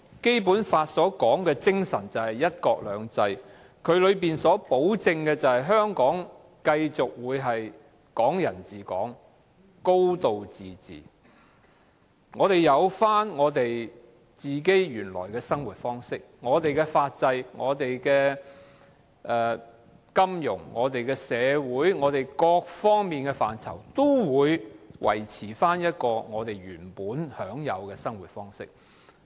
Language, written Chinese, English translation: Cantonese, 《基本法》的精神便是"一國兩制"，保證香港會繼續"港人治港"、"高度自治"，生活方式、法制、金融、社會及各方面的範疇，也會維持原本的方式。, The spirit of the Basic Law is one country two systems which ensures Hong Kong people ruling Hong Kong and a high degree of autonomy and that our way of life legal system finance society and other aspects will remain unchanged